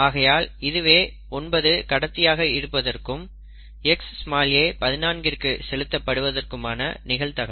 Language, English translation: Tamil, So it is the probability that 9 is a carrier and Xa goes to 14